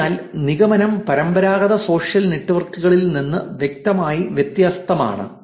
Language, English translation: Malayalam, So, the conclusion is clearly different from traditional social networks